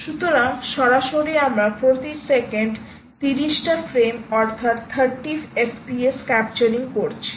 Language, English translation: Bengali, so so directly, you are doing, let us say, thirty frames per second ah, your capturing thirty f p s